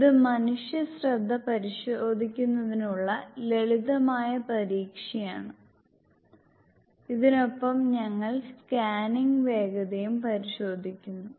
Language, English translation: Malayalam, So, this is it, this is the simple test of examine the human attention and along with this we also test the scanning speed